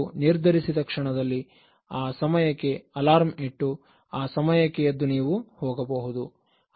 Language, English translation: Kannada, So that moment you decide, keep the alarm and then get up and then go